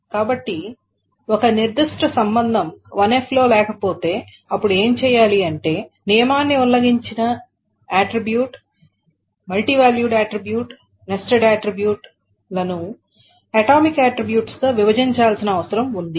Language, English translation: Telugu, So if a particular relation is not in 1NF, then what one needs to be done is that offending attribute, the multivalued attribute, the nested attribute, needs to be broken down into atomic attributes